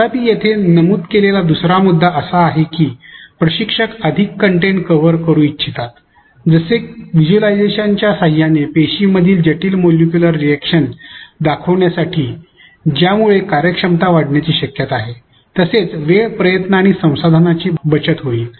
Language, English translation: Marathi, However, the second point stated here is that instructor wants to cover more content which may imply enhancing efficiency by use of visualizations to demonstrate complicated molecular reactions in the cells which may save time, effort as well as resources